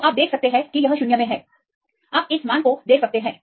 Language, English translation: Hindi, So, you can see it is in the vacuum; you can see this value